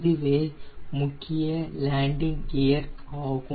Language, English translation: Tamil, this is the nose landing gear